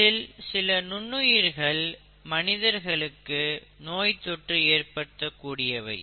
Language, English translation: Tamil, The micro organisms, some of which have the capability to cause infection in humans